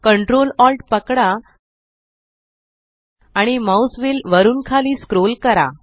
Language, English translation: Marathi, Hold ctrl, alt and scroll the mouse wheel downwards